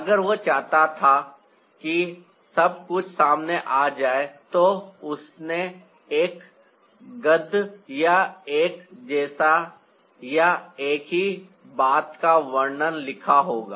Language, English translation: Hindi, had he wanted everything to be revealed, he would have written a prose or a like or a description of the same thing